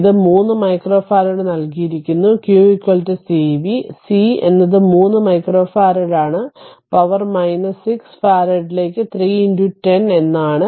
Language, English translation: Malayalam, It is given 3 micro farad; q is equal to cv, so c is 3 micro farad; that means 3 into 10 to the power minus 6 farad